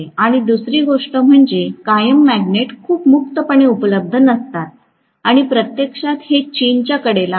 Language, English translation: Marathi, And second thing is permanent magnets are not very freely available and it is actually horded by China